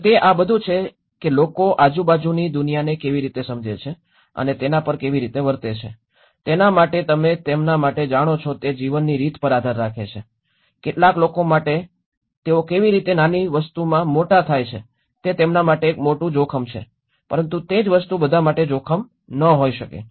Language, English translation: Gujarati, And itís all about how people perceive and act upon the world around them depends on their way of life you know for them, for some people how they are grown up a small thing is a huge risk for them but for the same thing may not be a risk at all